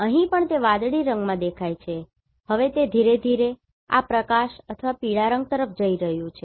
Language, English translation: Gujarati, So, very gentle slope, here also it is visible in the blue colour now it is slowly going towards this light or yellow colour